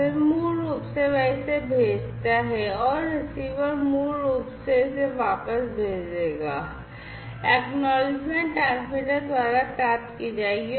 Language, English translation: Hindi, Then basically it sends it and the receiver basically will send it back, the acknowledgement will be received by the transmitter